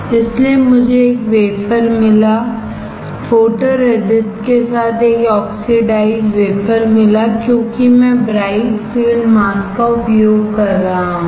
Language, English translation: Hindi, So I got a wafer, a oxidize wafer with photoresist, because I am using bright field mask